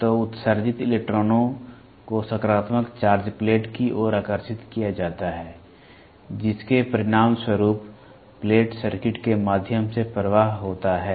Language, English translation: Hindi, So, emitted electrons get attracted towards the positive charge plate resulting in a flow of current through the plate circuit